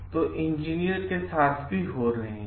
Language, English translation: Hindi, So, this engineers are also happening